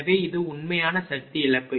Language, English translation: Tamil, What will be the power loss